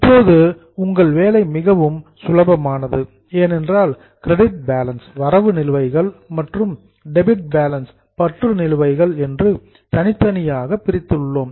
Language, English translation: Tamil, See now your work is very simple because we have separated credit balances and debit balances